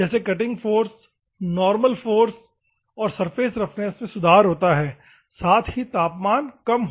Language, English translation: Hindi, The cutting forces, normal forces, surface roughness improvement at the same time temperature